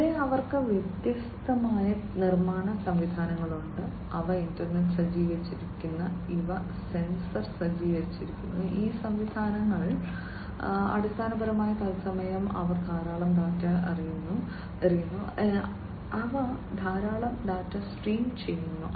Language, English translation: Malayalam, Here they have different manufacturing systems which are internet equipped, these are sensor equipped and these systems basically in real time they throw in lot of data, they stream in lot of data